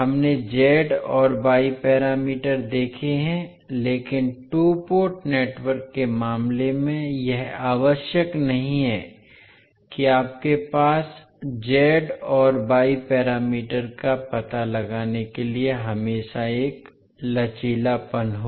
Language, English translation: Hindi, So we have seen z and y parameters, but in case of two Port network it is not necessary that you will always have a flexibility to find out the z and y parameters